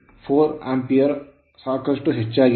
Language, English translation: Kannada, 4 ampere quite high right